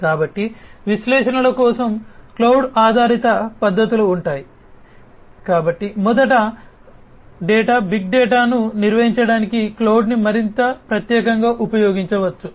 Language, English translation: Telugu, So, cloud based methods for analytics would be; so first of all, cloud could be used for handling data big data, more specifically